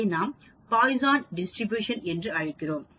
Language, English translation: Tamil, Again, it is count that is called Poisson distribution